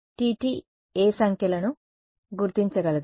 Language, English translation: Telugu, Tt can figure out which numbers are